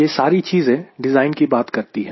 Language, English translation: Hindi, all these things talks about the synthesis of design